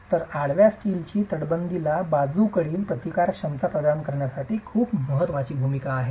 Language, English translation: Marathi, So, the horizontal steel has a very critical role to play in providing the lateral resisting capacity to the masonry wall